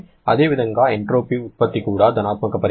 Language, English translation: Telugu, Similarly, entropy generation is also a positive quantity